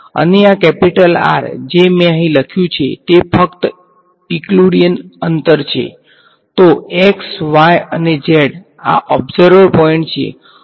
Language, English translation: Gujarati, And, this capital R that I have written over here is simply the Euclidean distance